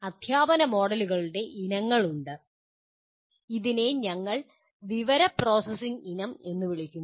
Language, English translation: Malayalam, There are families of teaching models, what we call information processing family